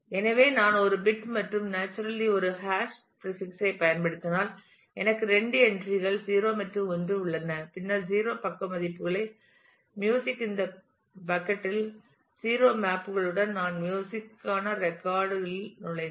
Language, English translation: Tamil, So, if I use a hash prefix which has just one bit and naturally therefore, I have two entries 0 and 1 then music with the value 0 maps to this bucket where I entered the record for music